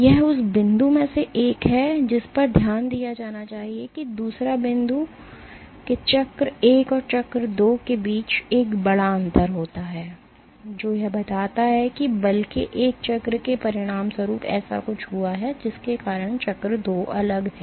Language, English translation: Hindi, It that is one of the points to be noted the second point is that between cycle 1 and cycle 2 there is a big difference suggesting that something has happened as a consequence of that one cycle of force because of which the cycle 2 is different